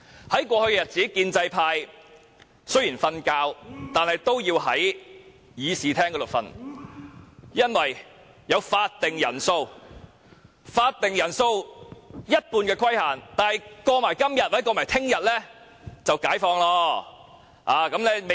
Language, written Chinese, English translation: Cantonese, 在過去的日子，建制派即使睡覺，也要在會議廳內睡，因為有法定人數為全體議員的一半的規限。, In the past even if pro - establishment Members wanted to sleep they had to do so in the Chamber given the requirement that the quorum for the meeting should not be less than one half of all Members